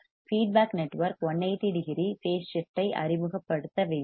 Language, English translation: Tamil, The feedback network must introduce a phase shift of 180 degree